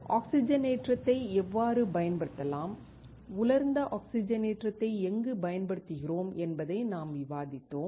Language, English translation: Tamil, We discussed how oxidation can be used and where we use dry oxidation